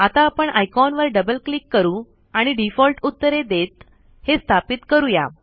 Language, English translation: Marathi, Let us now double click the icon and install it by giving default answers